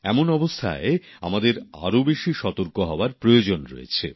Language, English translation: Bengali, In such a scenario, we need to be even more alert and careful